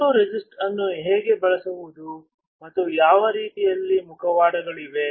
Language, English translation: Kannada, How to use a photoresist and what kind of masks are there